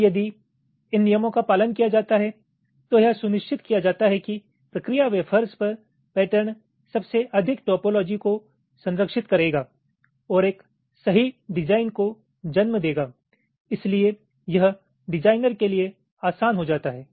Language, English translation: Hindi, now, if this rules are followed, then it is ensured that the patterns on the process wafers will most likely preserve the topology and will lead to a correct design